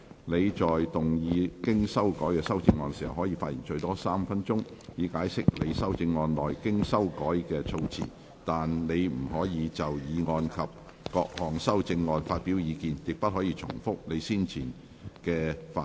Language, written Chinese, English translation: Cantonese, 你在動議經修改的修正案時，可發言最多3分鐘，以解釋修正案內經修改的措辭，但你不可再就議案及各項修正案發表意見，亦不可重複你先前的發言。, When moving your revised amendment you may speak for up to three minutes to explain the revised terms in your amendment but you may not express further views on the motion and the amendments nor may you repeat what you have already covered in your earlier speech